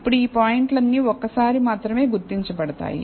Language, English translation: Telugu, Now, all these points can be identified only once